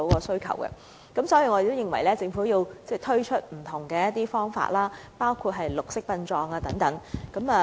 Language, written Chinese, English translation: Cantonese, 所以，我們認為政府要推出不同的解決方法，包括推廣綠色殯葬等。, Hence the Government must introduce various solutions including the promotion of green burials